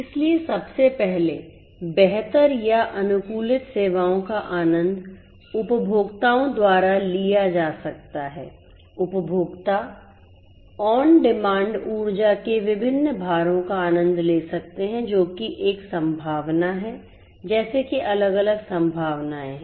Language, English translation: Hindi, So, first of all improved or customized improved or customized services can be enjoyed by the consumers, the consumers can on demand on demand enjoy different loads of energy that is a possibility like this there are different different possibilities